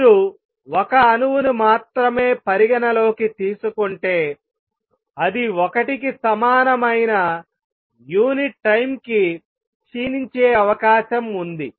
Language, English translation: Telugu, Slowly it comes down if you consider only 1 atom it has a probability of decaying per unit time which is equal to 1